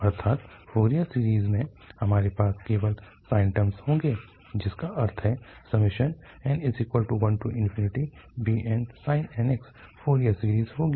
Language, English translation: Hindi, That means in Fourier series we will have only the sine terms, that means n goes 1 to infinity and bn sin nx will be the Fourier series